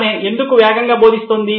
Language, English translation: Telugu, Why is she going fast